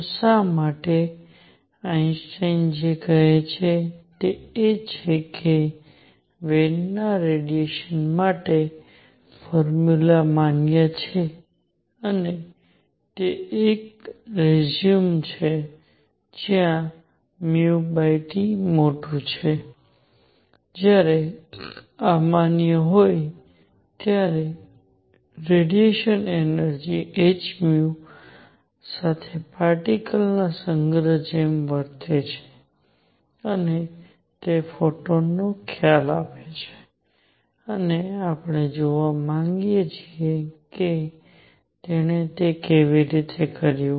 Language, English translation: Gujarati, So, why; what Einstein says is that for a system where Wien’s formula for radiation is valid and that is a resume where nu over T is large, when this is valid, the radiation behaves like a collection of particles each with energy h nu and that gives the concept of photon and we want to see; how he did that